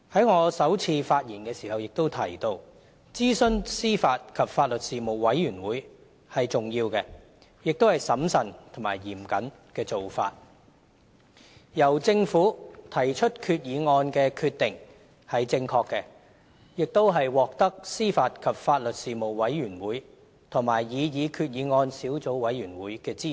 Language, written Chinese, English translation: Cantonese, 我在首次發言時也提到，諮詢司法及法律事務委員會是重要的，亦是審慎和嚴謹的做法，而由政府提出決議案的決定是正確的，亦獲得司法及法律事務委員會和擬議決議案小組委員會的支持。, I have mentioned in my first speech that as a prudent and stringent approach it is important to consult the Panel on Administration of Justice and Legal Services AJLS . It is also a correct decision for the Government to take up the role of the mover of the resolution which has drawn support from both the AJLS Panel and the subcommittee on the proposed resolution